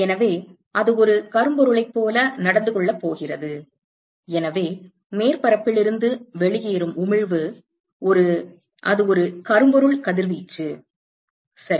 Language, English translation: Tamil, So, it is going to behave like a black body and therefore, the emission that comes out of the surface is a, it is a blackbody radiation, right